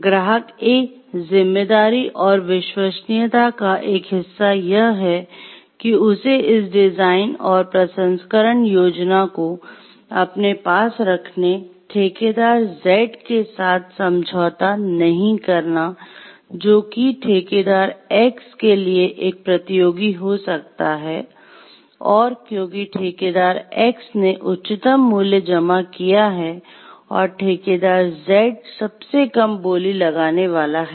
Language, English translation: Hindi, It is a part of responsibility and trustworthiness of the client A to keep these design, this processing scheme to himself and not to share it with the contractor Z, who may be a competitor to contractor X, because contractor X has submitted the highest price quotation and contractor Z is the lowest bidder